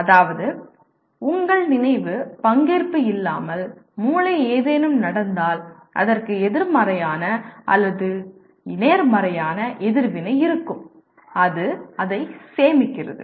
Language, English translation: Tamil, That means when something happens the brain without your conscious participation will attach a negative or a positive reaction to that and it stores that